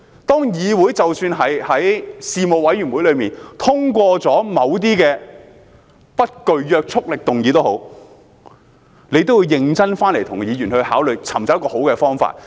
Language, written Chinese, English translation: Cantonese, 即使議會在事務委員會層面通過了某些不具約束力的議案，政府也要認真與議員商討，尋找一個好的方法。, Even if the Council has passed some non - binding motions at the Panel level the Government has yet to earnestly discuss with Members to find a good solution